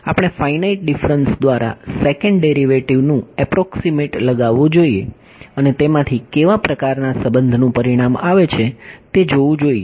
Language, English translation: Gujarati, We should approximate the second derivatives by finite differences, and see what kind of relation results from it ok